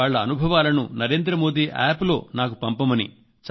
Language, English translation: Telugu, This time you can send your experiences on Narendra Modi App